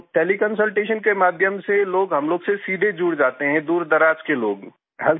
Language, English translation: Hindi, So through Tele Consultation, we connect directly with people…